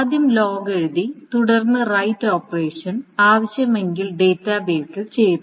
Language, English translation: Malayalam, So, first, the log is written, and then the actual right operation, if needed, is done to the database